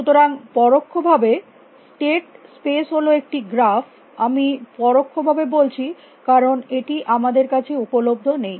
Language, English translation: Bengali, So, the state space is implicitly a graph I say implicitly because, it is not available to us